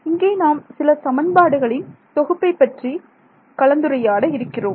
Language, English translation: Tamil, So, here is where we discuss the assembly of equations you are all familiar with this